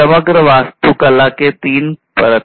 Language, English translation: Hindi, So, these are the three layers in the overall architecture